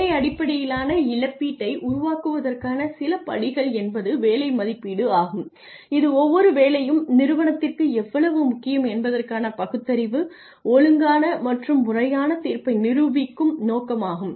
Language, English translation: Tamil, Some steps in creating job based compensation plans achieving internal equity there is job evaluation which is a process intended to prove a rational orderly and systematic judgment of how important each job is to the firm